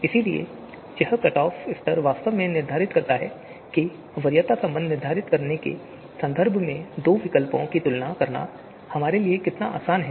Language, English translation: Hindi, So this cut off level actually determines how easy for us to compare you know two alternatives in terms of determining the preference relation